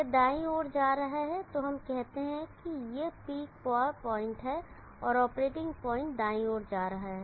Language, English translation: Hindi, It is moving to the right, so let us say this is the peak power point and the operating point is moving to the right